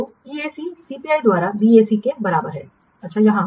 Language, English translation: Hindi, So EAC is equal to BAC by CPI